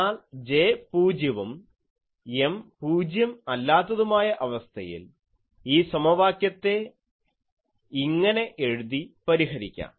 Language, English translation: Malayalam, But for the case when we have that J is 0, but M is not 0; then, I can rewrite this equation which I will now solve